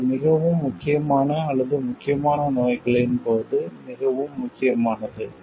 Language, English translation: Tamil, This becomes more important in case of like maybe very important or crucial diseases